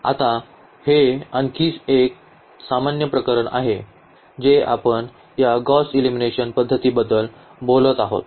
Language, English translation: Marathi, Now, this is a little more general case which we will be talking about this Gauss elimination method